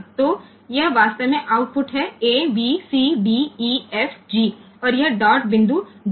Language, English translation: Hindi, So, this actually outputs is this, a b c d e f g and this dot point dp